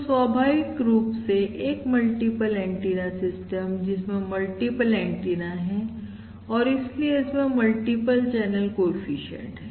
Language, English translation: Hindi, Now, naturally, since there are multiple antennas, there are going to be multiple channel coefficient corresponding to these multiple antennas